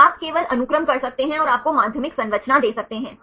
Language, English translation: Hindi, So, in you can just do the sequence and give you the secondary structure